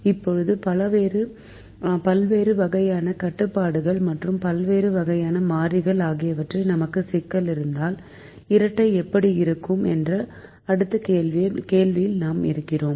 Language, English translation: Tamil, now we than pose the next question of if i have a problem with different types of constraints and different types of variables, how does the dual looked like